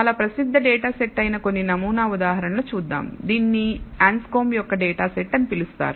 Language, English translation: Telugu, So, let us look at some sample examples this is a very famous data set called the Anscombe’s data set